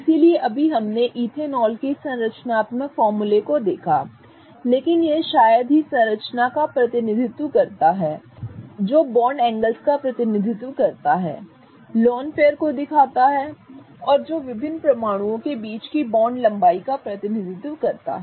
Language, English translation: Hindi, So, just now we looked at the structural formula of ethanol but it hardly represents this structure which is representing of the bond angles, representing of the loan pairs present, representing of the different bond lens that are between the atoms